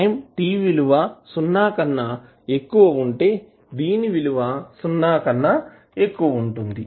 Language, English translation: Telugu, Its value is greater than 0 when time t is greater than 0